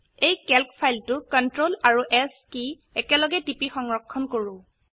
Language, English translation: Assamese, Lets save this Calc file by pressing CTRL and S keys together